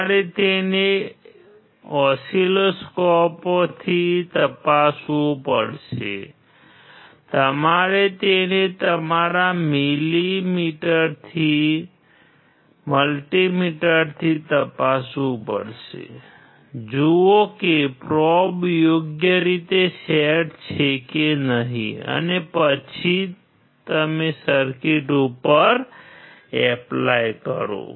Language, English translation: Gujarati, You have to check it with oscilloscope; you have to check it with your multi meter; see whether the probes are properly set and then you apply to the circuit